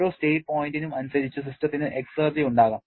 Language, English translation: Malayalam, Corresponding to every state point, the system can have exergy